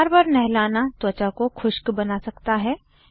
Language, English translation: Hindi, Frequent bathing may be drying to the skin